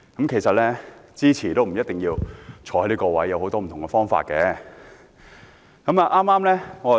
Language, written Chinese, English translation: Cantonese, 其實，即使支持也不一定要在席，還有很多不同的表達方式。, In fact there are many more ways to show our support than sitting in the Chamber